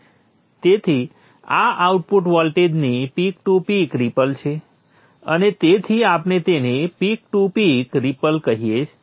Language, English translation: Gujarati, So this is the peak to peak swing of the output voltage and therefore we can call that one as the peak to peak ripple